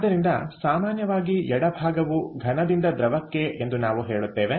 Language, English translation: Kannada, so typically we will say left side is from solid to liquid